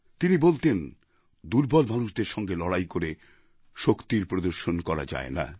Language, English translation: Bengali, He used to preach that strength cannot be demonstrated by fighting against the weaker sections